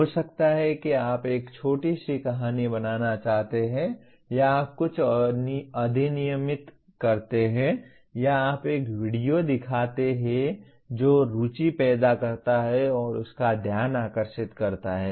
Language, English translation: Hindi, Maybe you want to create a small story or you enact something or you show a video that arouses the interest and to get the attention of that